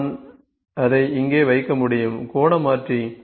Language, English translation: Tamil, I can just put it here, angular converter